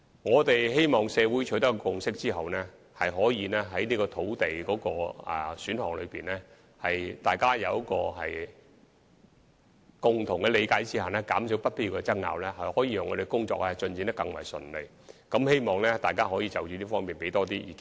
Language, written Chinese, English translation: Cantonese, 我們希望在社會取得共識後，能就土地選項達成共同的理解，減少不必要的爭拗，從而令當局更加順利地進行有關的工作，所以希望大家可就此向我們提供更多意見。, We hope that a common understanding of these land supply options can be achieved after a social consensus has been reached so as to minimize unnecessary disputes and enable the Administration to take forward the relevant work more smoothly . It is therefore our wish that members of the public would put forth more views in this respect